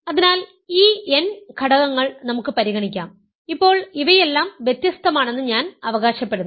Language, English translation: Malayalam, So, let us consider these n these elements, I now claim that these are all distinct this is my claim